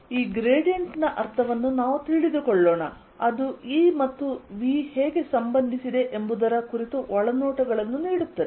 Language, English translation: Kannada, right, let us understand the meaning of this gradient, which will also give us insights into how e and v are related